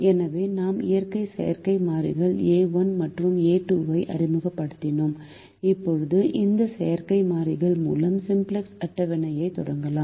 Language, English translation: Tamil, so introduced two artificial variables, a one and a two, and now we can start the simplex table with these artificial variables